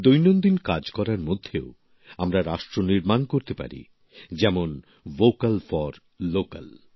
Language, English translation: Bengali, We can contribute to nation building even while performing our routine chores…such as 'Vocal for Local'